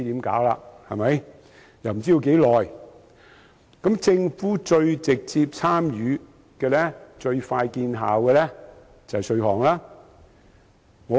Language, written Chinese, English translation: Cantonese, 政府能最直接參與、最快見效的做法，就是稅務安排。, Taxation arrangements should be the most direct efficient and effective way for the Government to address the issue